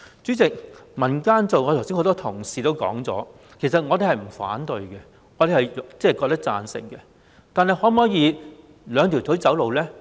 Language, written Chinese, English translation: Cantonese, 主席，剛才多位同事也曾提到，其實我們並不反對由民間做，我們是贊成的，但可否以兩條腿走路呢？, President a number of colleagues have mentioned that we actually do not object to allowing the community to take forward the work and we are in favour of it . However can we walk on two legs?